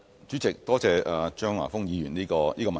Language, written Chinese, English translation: Cantonese, 主席，多謝張華峰議員的補充質詢。, President I thank Mr Christopher CHEUNG for his supplementary question